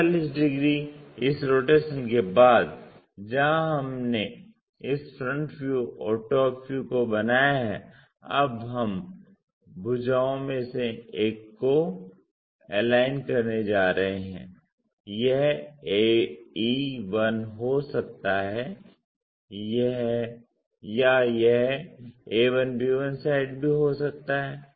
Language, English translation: Hindi, After 45 degrees this rotation where we have constructed this front view and top view now we are going to align one of the sides it can be a e 1 or it can be a 1 b 1 sides also